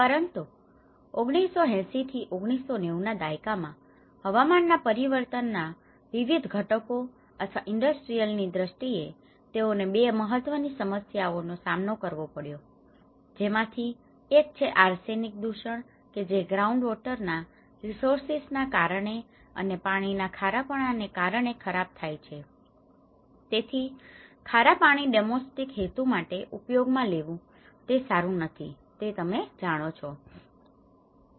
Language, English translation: Gujarati, But from 1980s, in the 1990’s, due to various other factors with the climate change or the industrial aspects of it, this is where they have faced with 2 important problems, one is the arsenic contamination which is evident from the groundwater resources and the water salinity so, how the saline water is not you know, it is not good for consuming for a domestic purposes, okay